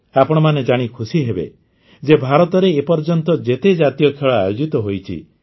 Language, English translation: Odia, You will be happy to know that the National Games this time was the biggest ever organized in India